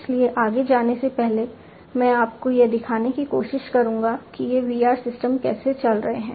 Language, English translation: Hindi, So, before going any further, let me just try to show you how overall how these VR systems are going to operate